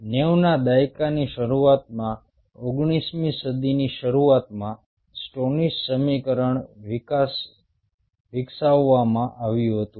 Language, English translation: Gujarati, stoneys equation was developed long time back summer, early nineties, ninetieth century